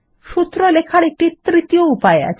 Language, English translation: Bengali, There is a third way of writing a formula